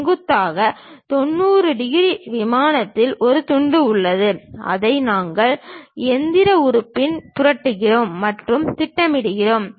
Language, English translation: Tamil, Actually we have a slice in the perpendicular 90 degrees plane and that we are flipping and projecting it on the machine element